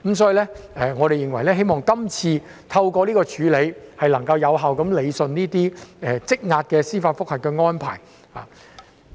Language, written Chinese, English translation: Cantonese, 所以，我們認為透過今次的安排，能夠有效處理這些積壓的司法覆核個案。, Hence we think that through this arrangement the backlog of JR cases can be dealt with effectively